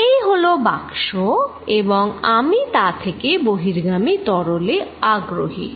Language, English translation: Bengali, This is the box and I am interested in what fluid is going out